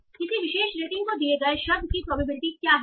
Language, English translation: Hindi, So, what is the probability of a word given a particular rating